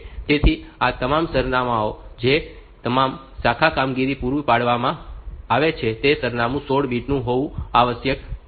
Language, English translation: Gujarati, So, all these addresses supplied the address supplied to all branch operations must be 16 bit